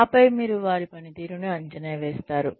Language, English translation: Telugu, And then, you appraise their performance